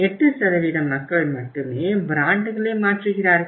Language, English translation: Tamil, Very few people change the brands